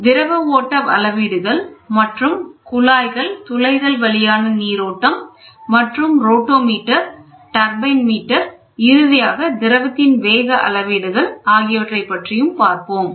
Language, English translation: Tamil, Fluid flow measurement then flows in a pipes and orifice, rotameter and turbine meters and the last one is going to be velocity measurement